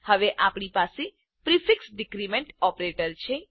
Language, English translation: Gujarati, We now have the prefix decrement operator